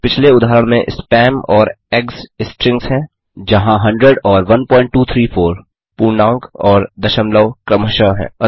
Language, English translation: Hindi, In the previous example spam and eggs are strings whereas 100 and 1.234 are integer and float respectively